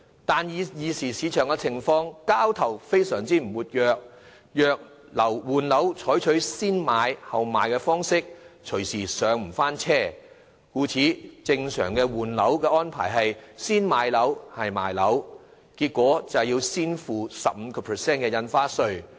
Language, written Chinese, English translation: Cantonese, 但是，現時市場交投並不活躍，如果在換樓時採取先賣後買的方式，隨時不能再"上車"，故此正常的換樓安排是先買樓，後賣樓，結果便要先付 15% 印花稅。, However as the property market is not active now if buyers choose to sell their property first it may not be possible for them to purchase a new flat later . Therefore buyers who are changing flat will normally acquire a new property first before selling the one they are originally holding and are thus subject to stamp duty charged at a rate of 15 %